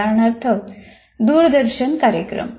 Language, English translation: Marathi, Typical example is a television program